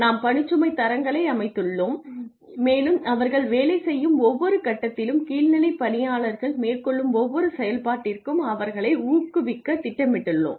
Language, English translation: Tamil, We set the workload standards and we plan to incentivize lower level employees at every stage of the work that they are doing and for every function that they are undertaking